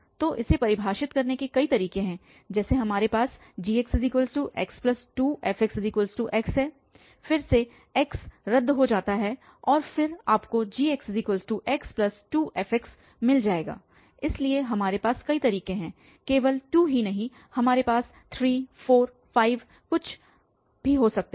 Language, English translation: Hindi, So, there are various ways to define this here we have like x is equal to gx so x plus 2 fx, again x x gets cancel and then you will get again fx is equal to 0 so several ways not only 2 we can have 3, 4, 5 whatever